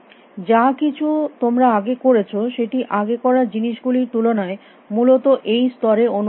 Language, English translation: Bengali, Anything you did before feels in comparison to what you are doing at this level